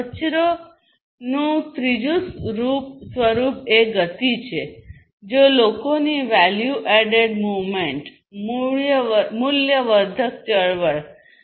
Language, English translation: Gujarati, Third form of waste is the motion which is basically non value added movement of people